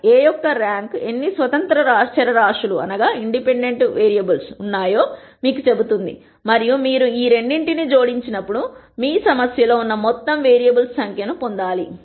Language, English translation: Telugu, The rank of A tells you how many independent variables are there and when you add these two you should get the total number of variables that is there in your problem